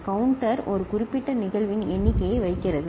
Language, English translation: Tamil, Counter keeps count of a particular event